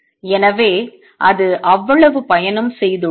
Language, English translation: Tamil, So, it has traveled that much